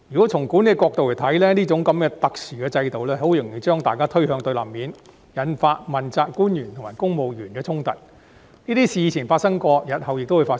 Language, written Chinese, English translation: Cantonese, 從管理的角度而言，這種特殊制度容易把大家推向對立面，引發問責官員和公務員的衝突，這些事以前皆曾發生，日後亦會發生。, From the management perspective this exceptional system is prone to developing antagonism from both sides towards each other and triggering conflicts between accountability officials and civil servants . There were already such problems in the past and they may occur in the days to come